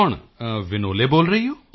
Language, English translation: Punjabi, Is that Vinole speaking